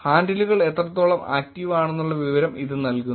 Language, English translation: Malayalam, This kind of gives the sense of how active these handles are